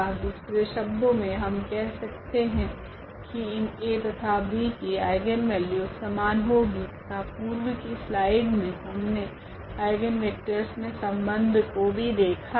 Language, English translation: Hindi, In other words, we can say again that this A and B will have the same eigenvalues and we have seen again in the previous slide here the relation for the eigenvectors as well ok